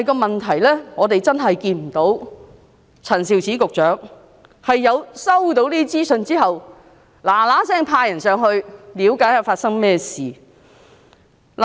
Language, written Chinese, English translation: Cantonese, 問題是，我們真的看不到陳肇始局長在收到這些資訊後，立刻派人前往內地了解發生甚麼事情。, The problem is we really did not see Secretary Prof Sophia CHAN immediately sending people to the Mainland to understand what was happening in the Mainland after she had received such information